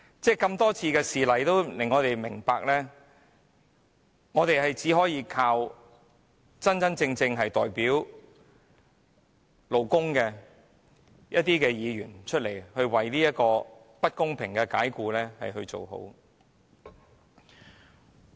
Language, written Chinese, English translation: Cantonese, 眾多事例讓我們明白到，工人只可倚靠真正代表勞工的議員就不公平的解僱的問題發聲。, From all these examples it is well evident that workers may only rely on those Members who truly represent the labour sector to speak up on the issue of unfair dismissal